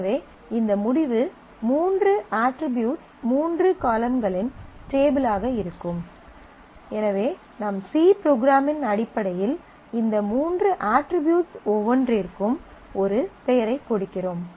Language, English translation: Tamil, So, if I want to the result of this select will be a table of three attributes three columns, so we are giving a name to each one of these three attributes in terms of our C program